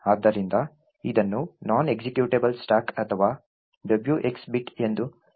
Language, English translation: Kannada, So, this is called the non executable stack or the W ^ X bit